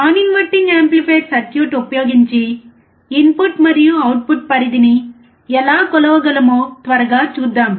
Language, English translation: Telugu, Let us quickly see how we can measure the input and output range using the non inverting amplifier circuit